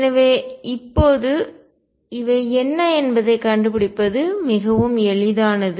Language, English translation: Tamil, So, now, it is quite easy to find out what these are